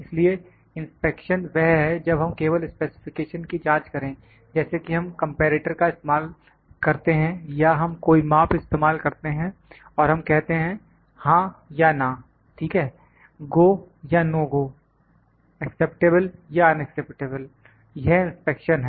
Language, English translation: Hindi, So, inspection is when we just check the specifications, like we use comparator or we use some measurement and we said yes or no, ok, GO or NO GO, acceptable not acceptable that is the inspection